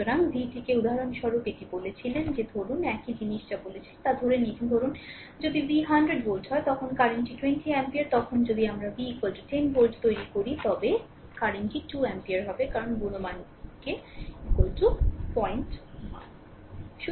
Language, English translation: Bengali, So, I told it that v for example, suppose here I have taken whatever I said same thing suppose if v is 100 volt see at that time current is 20 ampere, but if we make v is equal to 10 volt, the current will be 2 ampere right, because you are multiplying k is equal to say 0